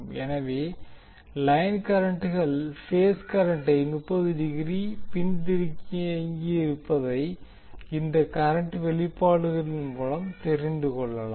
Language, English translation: Tamil, So this you can see from the current expressions that the line current is lagging the phase current by 30 degree